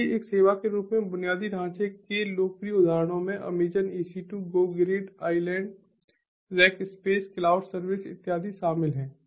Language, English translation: Hindi, so popular examples of infrastructure as a service include the amazon ec two go grid, iland rackspace, cloud servers and so on